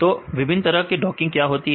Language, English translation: Hindi, So, what are the different types of docking